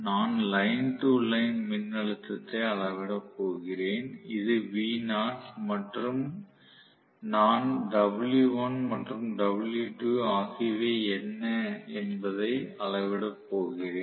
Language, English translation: Tamil, Let us say and I am going to measure the voltage line to line voltage which is v naught and I am going to measure what is w1 and what is w2